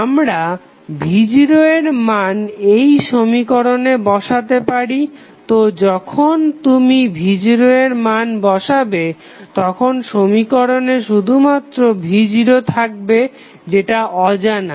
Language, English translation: Bengali, We can simply put the value of v naught in this equation so finally when you put these value here you will have only v naught as an unknown in this equation